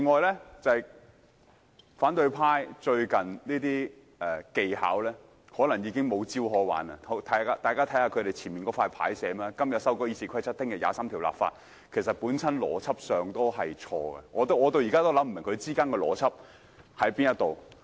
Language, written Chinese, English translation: Cantonese, 此外，反對派最近的技巧，可能顯示他們已黔驢技窮，大家看看他們桌前的展示板，所寫的是"今日改《議事規則》，明天23條立法"，其實在邏輯上已經錯，我至今仍想不通當中的邏輯為何。, Besides considering the recent techniques used by opposition Members it seems that they are at their wits end . Take a look at the words on the placards displayed in front of the bench Amending RoP today; legislating for Article 23 tomorrow . That is logically wrong